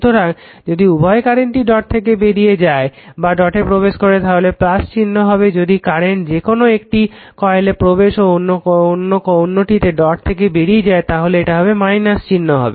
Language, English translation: Bengali, So, that is why if the if the current leaves both the dot or enters both the dot plus sign, if the current either of this coil once it is entering the dot another is leaving the dot it will be minus sign right